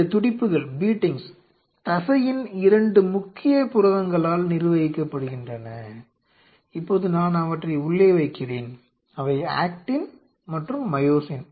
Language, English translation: Tamil, These beatings are governed by the two major proteins of muscle, which are now let me put them in those are actin and myosin which I am putting in two different color orange and green